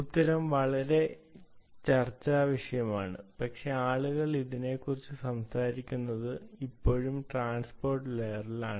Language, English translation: Malayalam, well, the answer is a very beatable, but people do talk about this is still at the transport layer